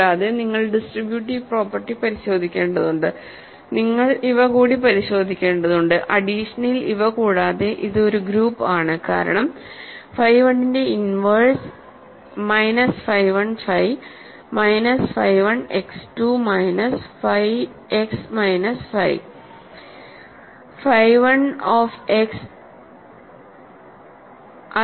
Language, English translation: Malayalam, And, you have to check distributive property, you have to check that under addition it is a multi it is a group that is clear because, phi 1 has an inverse right minus phi 1 phi, minus phi 1 sends x 2 minus phi x minus phi phi 1 of x